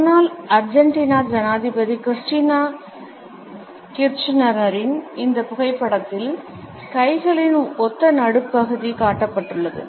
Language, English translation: Tamil, In this photograph of former Argentinean president Christina Kirchner, we find that is similar mid position of clenched hands has been displayed